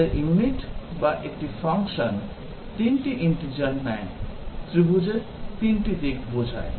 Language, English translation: Bengali, Our unit or a function, takes 3 integers, denoting 3 sides of a triangle